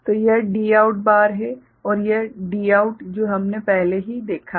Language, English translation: Hindi, So, this is D out bar and this D out which we have already seen